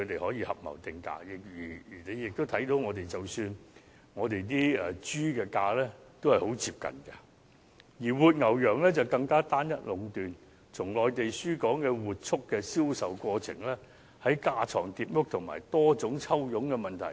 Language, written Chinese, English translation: Cantonese, 然而，合謀定價的情況不難出現，而大家也可見，活豬的價格非常接近，活牛羊的供應則更為單一壟斷，從內地輸港活畜的銷售過程亦存在架床疊屋和多重抽佣的問題。, As we can see the prices of live pigs are very close to each other . Supplies of live cattle and goats are even more monopolized . Problems of duplicated efforts and commissions charged by multiple parties also exist in the sale process of livestock imported from the Mainland